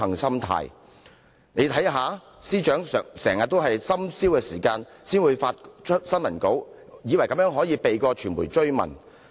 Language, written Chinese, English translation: Cantonese, 大家可以看到，司長經常在深宵時分發新聞稿，以為這樣便可以避過傳媒的追問。, As we can see she often issued press releases late at night thinking that she could thus evade questions from the media